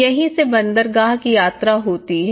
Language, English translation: Hindi, This is where travel to the harbour